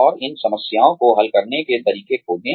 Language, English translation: Hindi, And, find ways, to solve these problems